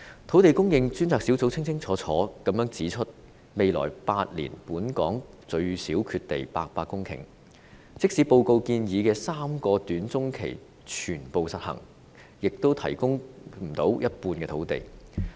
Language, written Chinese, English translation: Cantonese, 土地供應專責小組清楚指出，未來8年本港最少缺地800公頃，即使報告建議的3個短中期方案全部實行，也無法提供一半的土地。, The Task Force has made it clear that there will be a shortage of at least 800 heactares of land in Hong Kong in the next eight years and even with the implementation of all the three short - to - medium term options proposed in the Report there would not be sufficient land provided to make up for 50 % of the land shortage